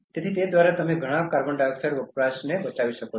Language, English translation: Gujarati, So, by that you can save lot of CO2 consumption